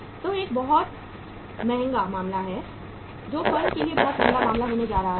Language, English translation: Hindi, Which is going to be a very very expensive affair which is going to be a very very costly affair for the firm